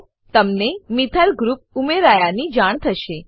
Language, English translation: Gujarati, You will notice that a Methyl group has been added